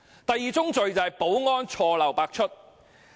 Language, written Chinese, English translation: Cantonese, 第二宗罪是保安錯漏百出。, The second crime is the numerous security flaws